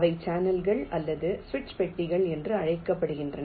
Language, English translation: Tamil, they are called channels or switch boxes